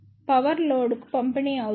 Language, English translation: Telugu, Power delivered to the load